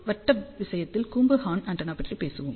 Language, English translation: Tamil, Then we will talk about helical and horn antennas